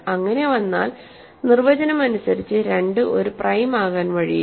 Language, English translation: Malayalam, So, first of all, why is 2 prime or not prime